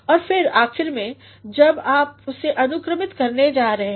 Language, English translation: Hindi, And then finally, when you are going to order it